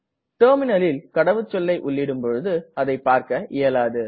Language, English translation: Tamil, The typed password on the terminal, is not visible